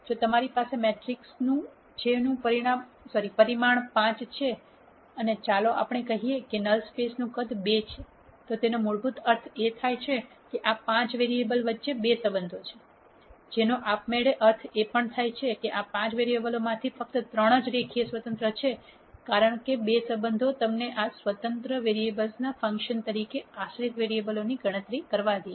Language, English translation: Gujarati, If you have a matrix which is of dimension 5 and let us say the size of null space is 2,then this basically means that there are 2 relationships among these 5 variables, which also automatically means that of these 5 variables only 3 are linearly independent because the 2 relationships would let you calculate the dependent variables as a function of these independent variables